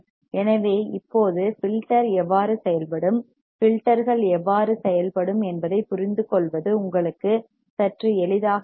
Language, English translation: Tamil, So, now, it will be little bit easier for you to understand how the filter would work, how the filters would work